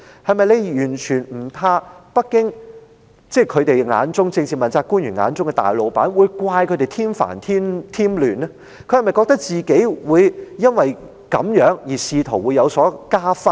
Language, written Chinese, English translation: Cantonese, 他們是否完全不怕北京，即是政治問責官員眼中的大老闆，會怪責他們添煩添亂，他們是否認為自己因而可以加薪呢？, Are they not afraid at all that Beijing the big boss in the eyes of politically accountable officials will blame them for causing trouble and chaos? . Do they think they can get a pay rise as a result?